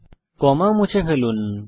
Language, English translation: Bengali, Delete the comma